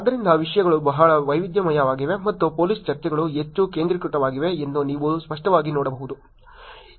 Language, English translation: Kannada, So, you can clearly see the topics have been very diverse and the police discussions are much more focused